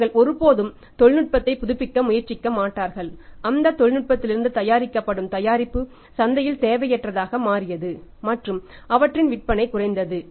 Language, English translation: Tamil, They never try to renovate technology and their product manufactured out of that technology that became redundant in the market and their sales dropped